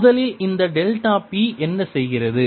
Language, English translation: Tamil, first, what this delta p does is change, is the volume